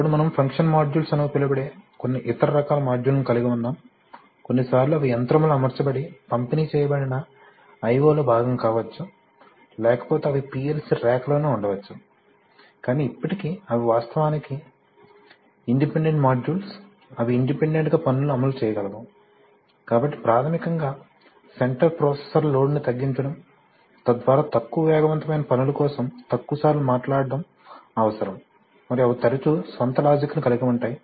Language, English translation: Telugu, Then you have some other kinds of modules called function modules, these are also, these are not, sometimes they could also be mounted on the machine and make part of a distributed I/O but otherwise they may be situated on the PLC rack itself but still they are actually independent modules that can execute tasks independently, so basically reducing the center processor load, so that it needs to talk to it less often, for precision and high speed tasks and they often have their own logic their own pre coded control laws, they have their own, you know optimizing abilities it might tune its own way, you just have to give it a command that you tune yourself